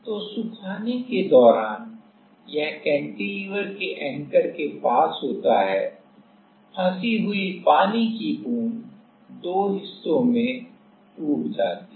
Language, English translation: Hindi, So, while drying it is near the anchor of the cantilever, trapped water droplet breaks into breaks into two